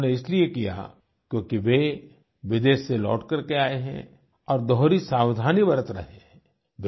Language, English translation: Hindi, They did so because they had travelled abroad recently and were being doubly cautious